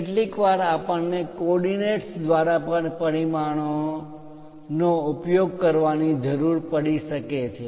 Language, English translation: Gujarati, Sometimes, we might require to use dimensioning by coordinates also